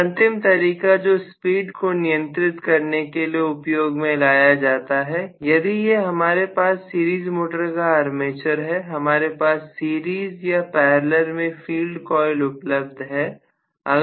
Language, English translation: Hindi, The last kind of again operation that is adopted for the speed control is, if this is my series motor’s armature, I may have several field coils in series or parallel